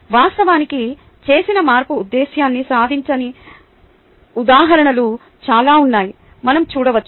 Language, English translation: Telugu, in fact, we can see that there are lot of examples where, however, the change made does not achieve the intention